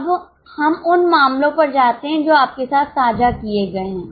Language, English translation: Hindi, Now let us go to the cases which have been shared with you